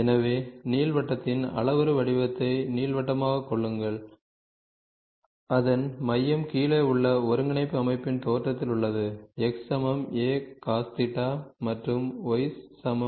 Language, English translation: Tamil, So, Ellipse the parametric form of an ellipse whose centre lies at the origin of the coordinate system below is given by x equal to a cos alpha phi and y equal to b sin phi